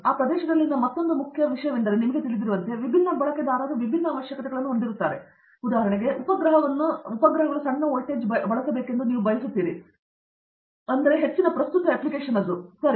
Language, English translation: Kannada, Another important thing in that area is you know, different users will have different requirements, for instance, you are powering your satellite the requirement could be small voltage, but high current application, right